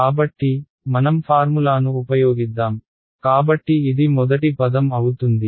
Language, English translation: Telugu, So, let us just use the formula, so this will be first term will be